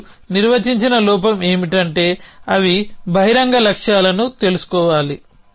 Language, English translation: Telugu, And the flaw as define is they must be known open goals